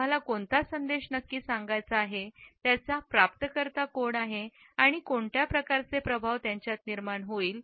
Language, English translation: Marathi, What exactly is the message which we want to communicate, who are the recipients of it and what type of effect would be generated in them